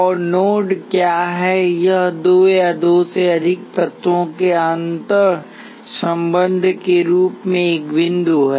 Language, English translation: Hindi, And what is the node, it is a point of a interconnection of two or more elements